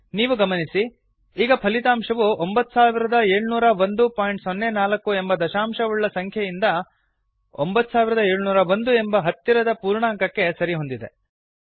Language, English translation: Kannada, You see, that the result is now 9701, which is 9701.04 rounded of to the nearest whole number